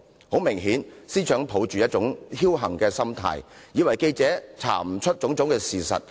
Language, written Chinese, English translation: Cantonese, 很明顯，司長是抱着僥幸心態，以為記者無法查出種種事實。, It is obvious that the Secretary for Justice has been taking chances thinking that the journalists might not be able to unearth all the facts